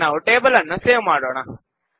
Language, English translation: Kannada, Let us now save the table